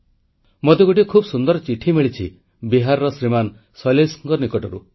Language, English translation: Odia, I have received a lovely letter, written by Shriman Shailesh from Bihar